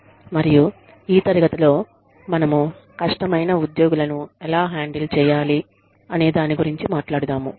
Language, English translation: Telugu, And, in this class, we will talk about, how do you handle difficult employees, who, in the work situation